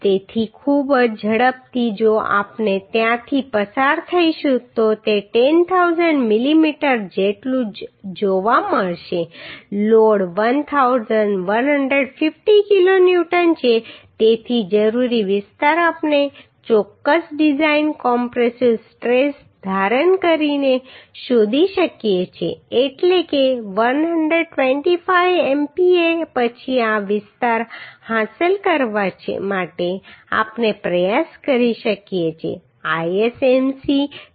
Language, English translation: Gujarati, So very quickly if we go through we will look that plenty same that 10000 millimetre load is 1150 kilo Newton so required area we can find out by assuming certain design compressive stress that is 125 MPa then to achieve this area we can try with ISMC 350 whose relevant properties are given these are same what we have discussed in earlier class